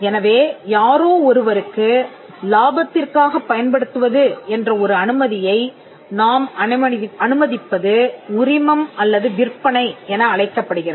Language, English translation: Tamil, So, exploitation by giving permission to somebody to use it what we call a granting permission is called as a licence or by a sale